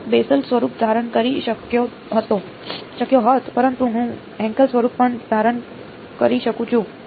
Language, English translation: Gujarati, I could have assume the Bessel form, but I can as well as assume the Hankel form